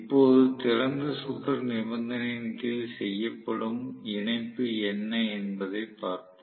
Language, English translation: Tamil, Now, let us try to look at what is actually the connection that is made under the open circuit condition